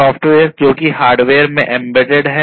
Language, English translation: Hindi, So, the software is embedded in the hardware